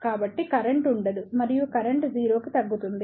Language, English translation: Telugu, So, there will not be any current and the current will reduce to 0